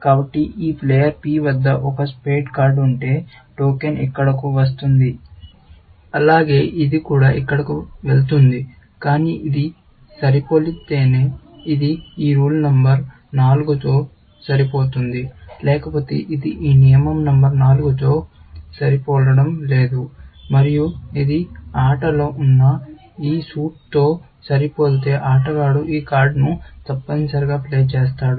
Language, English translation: Telugu, So, if there is a spade card held by this player P, the token will come here, as well as, it will also go here, but only if it matches this, it will match this rule number four; otherwise, it will not match this rule number four, and only if this matches this suit, which is in play, will the player played this card, essentially The Rete network is a network, which is a compilation of the rules